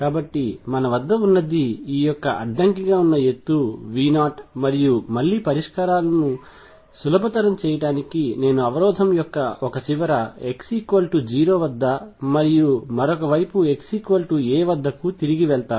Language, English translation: Telugu, So, what we have is this barrier of height V 0 and again to facilitate solutions I will shift back to one end of the barrier being at x equals 0, and the other hand being at x equals a